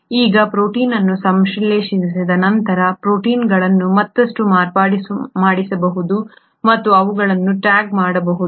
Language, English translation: Kannada, Now once the proteins have been synthesised, the proteins can get further modified and they can even be tagged